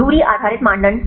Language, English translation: Hindi, Distance based criteria